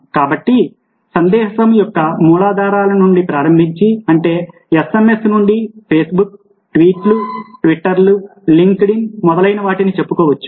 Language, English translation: Telugu, ok, so, starting from the rudiments of texting sms, to let say, facebook tweets, twitters linked in, and so on and so forth